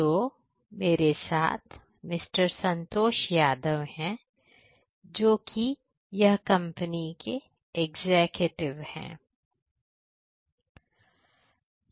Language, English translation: Hindi, Santhosh Yadav, one of the executives of this company